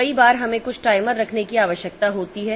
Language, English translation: Hindi, Many a time we need to have some timers